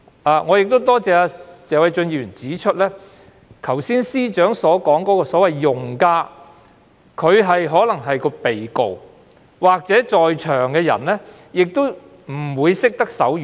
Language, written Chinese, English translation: Cantonese, 我亦要感謝謝偉俊議員指出，司長剛才所說的所謂用家，即被告或在庭人士，都可能不懂手語。, I also have to thank Mr Paul TSE for noting that the users mentioned by the Chief Secretary just now namely defendants or other people appearing in courts may generally fail to understand sign language